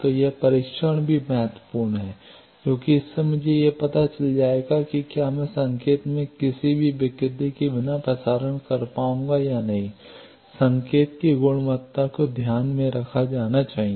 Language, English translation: Hindi, So, that testing is also important because that will give me an idea whether I will be able to do the transmission without any distortion in the signal that means, quality of the signal should be kept